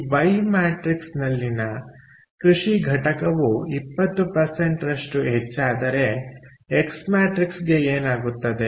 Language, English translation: Kannada, so if, one, if the agriculture component in this y matrix goes up by twenty percent, what happens to the x matrix